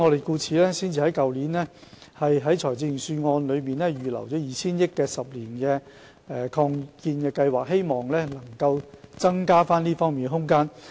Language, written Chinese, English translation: Cantonese, 故此，我們才在去年的財政預算案預留 2,000 億元推行10年的醫院發展計劃，以期增加這方面的空間。, For this reason a provision of 200 billion for a ten - year hospital development plan was set aside in the Budget last year with a view to increasing the space in this aspect